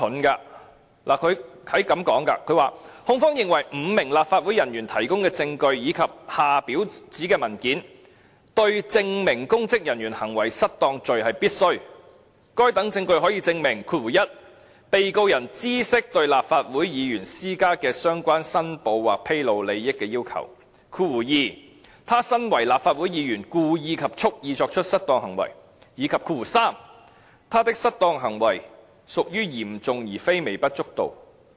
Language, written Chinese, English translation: Cantonese, 他這樣說，"控方認為，五名立法會人員提供的證據以及下表的指明文件，對證明公職人員行為失當罪是必需的，該等證據可證明 ：1 被告人知悉對立法會議員施加的相關申報或披露利益的要求 ；2 他身為立法會議員，故意及蓄意作出失當行為；以及3他的失當行為屬於嚴重而並非微不足道"。, This greatly contradicts the reasons for making the application as provided in the same letter The evidence from the five officers of LegCo and the documents specified in the table below are considered as necessary for the Prosecution to substantiate the offence of MIPO [Misconduct in Public Office] by proving that 1 the Defendant knew about the requirements on declaration or disclosure of interests imposed on LegCo Members; 2 the willfully and intentionally misconducted himself as a LegCo Member; and 3 his misconduct was serious but not trivial . Please compare the reasons given for their making the application with their remarks made later in an attempt to ease Members mind